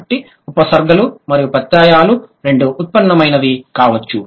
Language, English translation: Telugu, So, both the prefixes and suffixes can be derivational ones